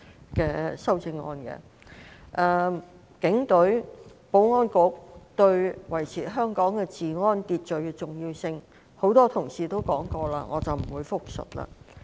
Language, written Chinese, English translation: Cantonese, 由於多位同事已就警隊及保安局對維持香港治安秩序的重要性發言，我不會複述。, Many colleagues have spoken on the importance of the Police Force and the Security Bureau in maintaining law and order in Hong Kong and I will not repeat what they said